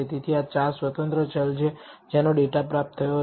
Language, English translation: Gujarati, So, these are the four independent variables people data was obtained on